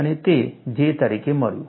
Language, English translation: Gujarati, And you got that as J